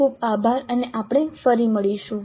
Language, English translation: Gujarati, Thank you very much and we will meet you again